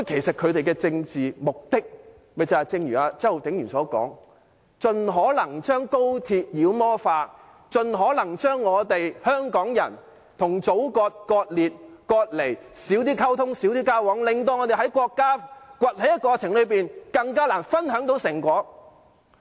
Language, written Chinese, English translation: Cantonese, 反對派的政治目的正如周浩鼎議員所說，是盡可能將高鐵妖魔化，盡可能將香港人與祖國割裂、割離，減少溝通、減少交往，令我們在國家崛起的過程中，更難分享成果。, The political objectives of opposition Members are as Mr Holden CHOW said to demonize XRL and segregate or separate Hong Kong people from the Motherland as far as possible; reduce their communication and interaction and make it more difficult for Hong Kong people to share the fruits of Chinas emergence